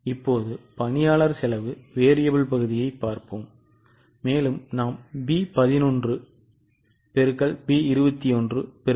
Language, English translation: Tamil, Now variable portion we have taken B11 into B21 into 1